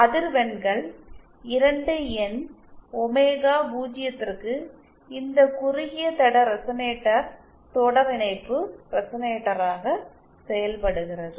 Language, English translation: Tamil, So say for frequencies 2 N omega 0, this resonator, the shorted line resonator acts as a series resonator